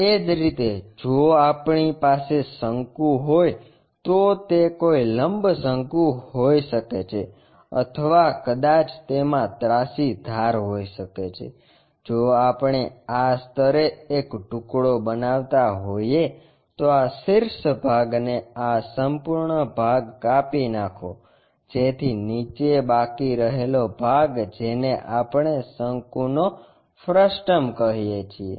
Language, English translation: Gujarati, Similarly, if we have a cone it can be right circular cone or perhaps it might be having a slant edge, if we are making a slice at this level, remove this apex portion this entire part, the leftover part what we call frustum of a cone